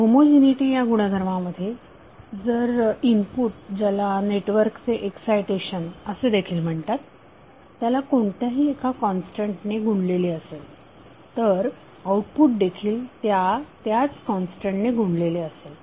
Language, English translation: Marathi, Homogeneity means the property which requires that if the input or you can say that excitation of the network is multiplied by a constant then the output is also multiplied by the same constant